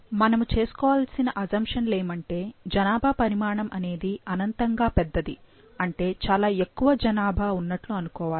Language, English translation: Telugu, The assumptions which need to be made are that population size is infinitely large that is it is quite a large population